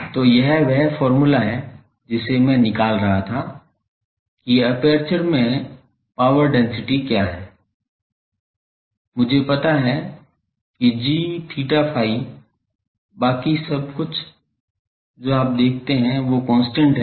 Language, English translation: Hindi, So, this is the expression I was finding out that what is the power density at the aperture, I know g theta phi everything else you see that is constant